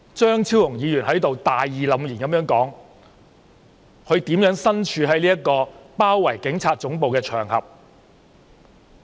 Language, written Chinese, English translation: Cantonese, 張超雄議員剛才在此大義凜然地說，他如何身處包圍警察總部的場合。, Just now Dr Fernando CHEUNG righteously recounted here his experience at the besieged Police Headquarters